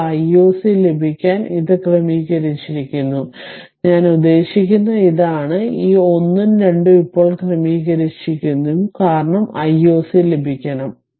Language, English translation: Malayalam, Now, to get I o c this is sorted right I mean this, this 1 and 2 is sorted now because we have to get I o c